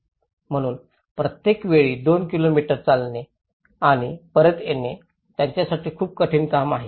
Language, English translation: Marathi, So, every time walking two kilometres and coming back is a very difficult task for them